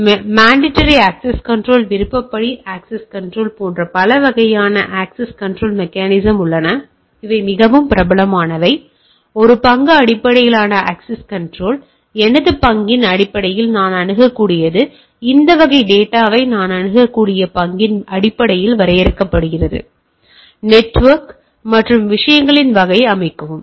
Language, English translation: Tamil, So, there are different type of access control mechanism like mandatory access control, discretionary access control, very popular is a role based access control, based on my role what I can access is defined like based on the role I can access this type of data set or this part of the network and type of things right